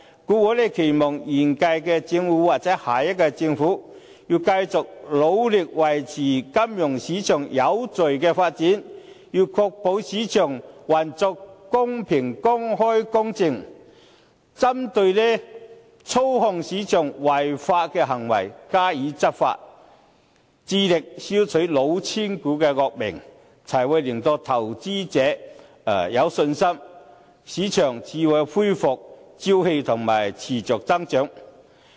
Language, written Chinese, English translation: Cantonese, 故此，我期望現屆或下屆政府要繼續努力維持金融市場有序的發展，確保市場運作公平、公開、公正，針對操控市場等違法行為，加以執法，致力消除"老千股"的惡名，才會令到投資者有信心，市場才可以恢復朝氣和持續增長。, I thus hope that the incumbent or the next Government will continue to work hard in maintaining the orderly development of the financial market ensuring a fair open and impartial operation of the market stepping up enforcement against illegal acts such as market manipulation and clearing out the fraudulent shares with a view to boosting confidence of investors and restoring vitality of the market for its continuous growth